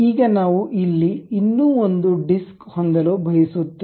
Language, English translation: Kannada, Now, we would like to have one more disc here